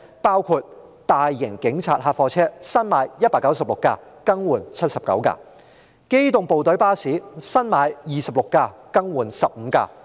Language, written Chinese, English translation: Cantonese, 當中大型警察客貨車，新置196輛，更換79輛；機動部隊巴士，新置26輛，更換15輛。, For police large vans 196 vans will be procured and 79 replaced . For police tactical unit PTU buses 26 will be procured and 15 replaced